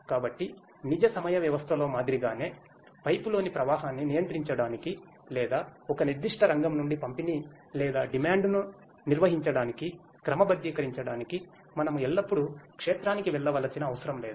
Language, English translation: Telugu, So, with the like in the real time system, we always need not to go to the field in order to control the flow in a pipe or in order to sort of maintain the distribution or the demand from one particular sector